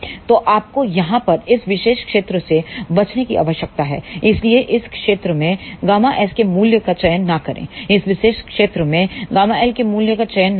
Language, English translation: Hindi, So, you need to avoid this particular region over here so, do not choose the value of gamma s in this particular region, do not choose the value of gamma L in this particular region here